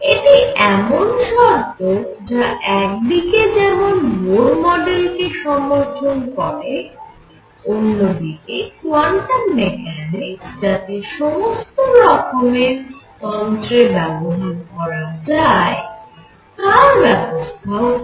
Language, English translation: Bengali, This condition is such that it correctly it produces Bohr model at the same time makes quantum mechanics applicable to other systems